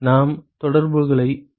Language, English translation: Tamil, We can get the correlations